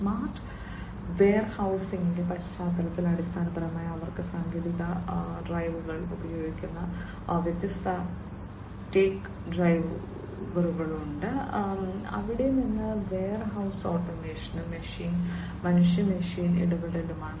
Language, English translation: Malayalam, In the context of the smart warehousing basically they have different tech drivers that are used technological drivers, where one is the warehouse automation and the human machine interaction